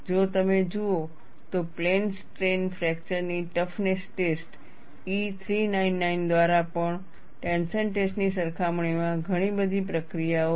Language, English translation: Gujarati, If you look at, plane strain fracture toughness tests, even by E 399, lot of procedures in comparison to a tension test